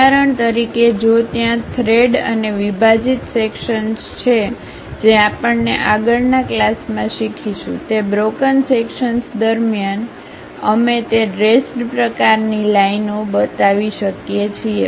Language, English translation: Gujarati, For example, if there are threads and broken out sections which we will learn in the next class, during that broken out sections we can really show that dashed kind of lines